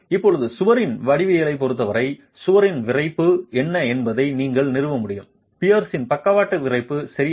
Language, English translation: Tamil, Now given the geometry of the wall you will also be able to establish what is the stiffness of the wall, the lateral stiffness of the pier